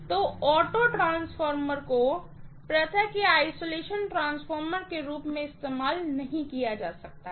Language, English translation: Hindi, Auto transformer cannot be used as an isolation transformer